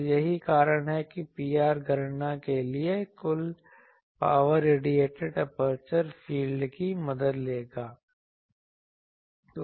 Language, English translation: Hindi, So, that is why for P r calculation, total power radiated will take the help of the aperture field